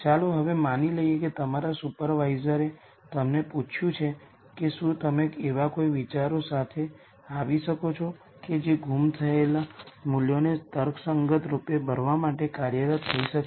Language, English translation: Gujarati, Now let us assume your supervisor has asked you if you can come up with any ideas that can be employed to rationally fill the missing values